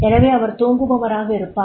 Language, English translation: Tamil, So therefore he will be the sleeper